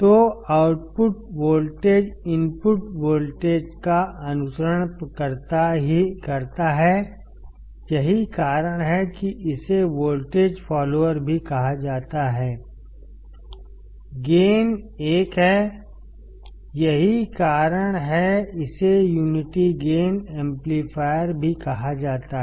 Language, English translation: Hindi, So, output voltage follows the input voltage that is why it is also called voltage follower; the gain is 1 that is why is it is also called unity gain amplifier